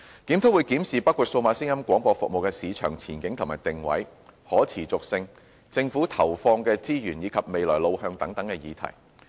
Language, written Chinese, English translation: Cantonese, 檢討會檢視包括數碼廣播服務的市場前景和定位、可持續性、政府投放的資源以及未來路向等議題。, The review will examine issues such as the market outlook and positioning sustainability resources provided by the Government and the way forward of DAB services